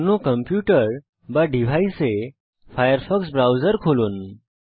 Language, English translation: Bengali, Open the firefox browser in the other computer or device